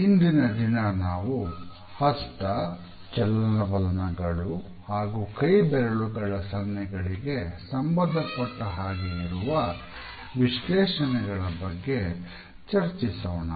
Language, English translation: Kannada, Today we would look at the interpretations associated with the movement of hands as well as fingers